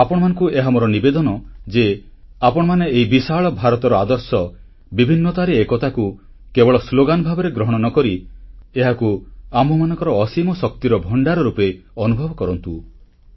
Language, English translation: Odia, I request you too, to feel the "Unity in Diversity" which is not a mere slogan but is a storehouse of enormous energy